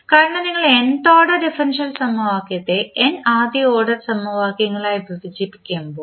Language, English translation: Malayalam, So, you can convert that nth order differential equation into n first order equations